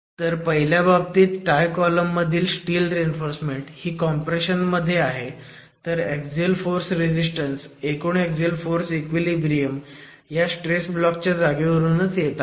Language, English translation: Marathi, So, in the first case where the steel reinforcement in the Thai column which is in compression is also considered, then the axial force resistance, the total axial force equilibrium comes from the two, the location of this stress block